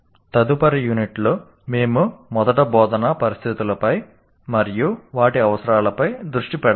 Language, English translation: Telugu, And in the next unit, we first focus on instructional situations and their requirements